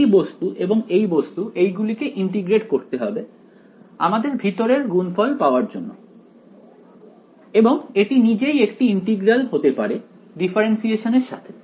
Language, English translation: Bengali, This guy and this guy they have to be integrated to get you to this inner product and this itself maybe an integral with differentiations inside it or whatever